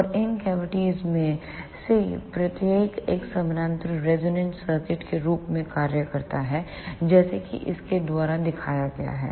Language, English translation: Hindi, And each one of these cavities acts as a parallel resonant circuit as shown by this